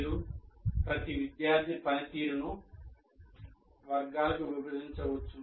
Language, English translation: Telugu, That is, each one, student performance you can divide it into these categories